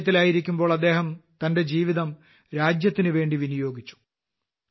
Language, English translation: Malayalam, While in the army, he dedicated his life to the country